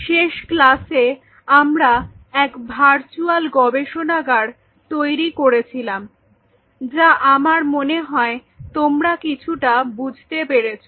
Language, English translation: Bengali, So, in the last class we kind of walked through or virtual lab, which I wish most of you develop something